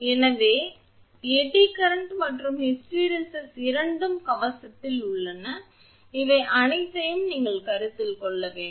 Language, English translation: Tamil, So, eddy current and hysteresis both are there in the armor you have to consider all these